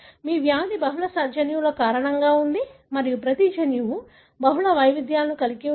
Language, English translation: Telugu, Your disease is because of multiple genes and each gene has got multiple variants